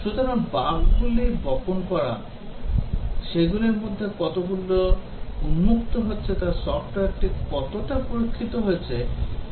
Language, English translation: Bengali, So, seeding bugs and seeing how many of them are getting exposed indicates to what extent the software has been tested